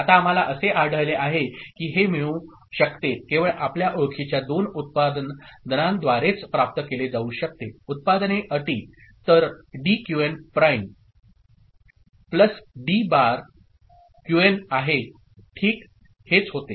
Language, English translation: Marathi, Now, what we find that this can be get, obtained only by through two such you know, products terms, so D Qn prime plus D bar Qn ok, this is what it becomes